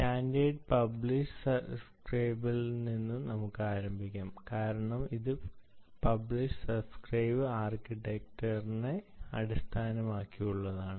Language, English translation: Malayalam, all right, so lets start with the standard: ah, publish subscribe, because this is based on the publish subscribe architecture